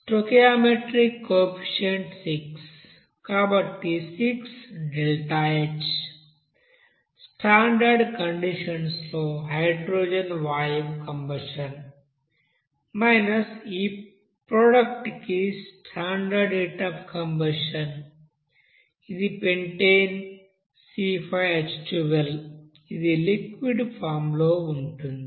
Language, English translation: Telugu, So your stoichiometric coefficient is here 6, so 6 into deltaH here of combustion of hydrogen gas at the standard condition minus what will be the standard heat of you know combustion for this you know product of this pentane that is C5H12 in liquid form